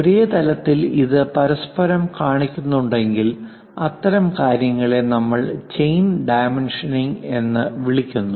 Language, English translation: Malayalam, This kind of next to each other if we are showing at the same level at the same level such kind of things what we call chain dimensioning